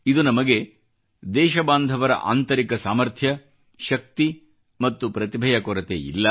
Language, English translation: Kannada, It conveys to us that there is no dearth of inner fortitude, strength & talent within our countrymen